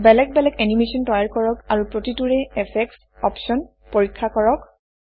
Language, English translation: Assamese, Create different animations and Check the Effect options for each animation